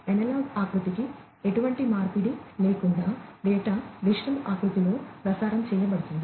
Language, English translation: Telugu, Data is transmitted in digital format, without any conversion to the analog format